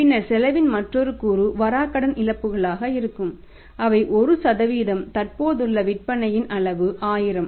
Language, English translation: Tamil, And then another component of the cost will be the bad debt losses which are currently 1% of the existing level of sales of 1000 that will become 1